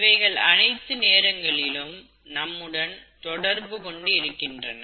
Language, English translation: Tamil, They are present all the time, and they are interacting with us all the time